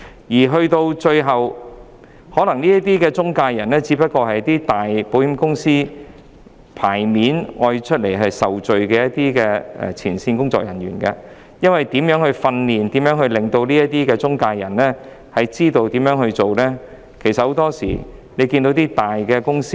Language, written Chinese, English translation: Cantonese, 這些中介人可能只是一些大型保險公司差派出來接受責備的前線工作人員——因為許多時候，我們也看到一些大公司訓練他們的中介人說一套、做一套的。, These intermediaries are probably frontline staff who are made the scapegoats by some big insurance companies―it is because we often see some big companies instruct their intermediaries to say one thing and do another